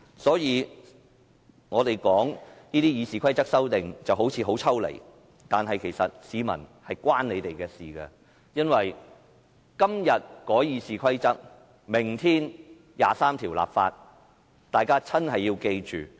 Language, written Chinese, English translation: Cantonese, 所以，我們討論《議事規則》這些修訂，好像很抽離，但是，其實是與市民息息相關，因為"今日改《議事規則》，明天23條立法"。, Therefore it seems detached for us to discuss these amendments to RoP but they are closely related to the people because Amending RoP today; legislating for Article 23 tomorrow